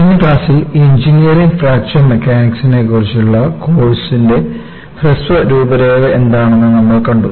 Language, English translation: Malayalam, In the last class, we had seen, what is the brief outline on the course on, Engineering Fracture Mechanics